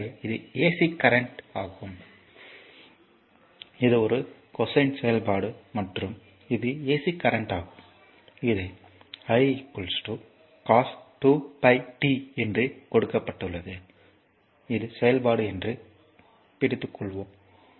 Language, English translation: Tamil, So, this is ac current this is a cosine function and this is your ac current it is given i is equal to say cosine 2 pi your 2 pi, t just hold on that this is the function, i is equal to cos 2 pi t right